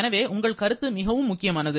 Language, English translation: Tamil, And therefore, your feedback is very important